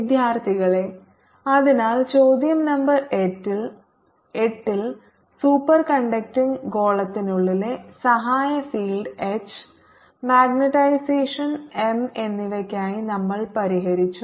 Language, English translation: Malayalam, ok, so in question number eight we have solved for the auxiliary field h and the ah magnetization m inside the superconducting sphere